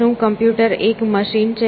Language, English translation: Gujarati, Is the computer a machine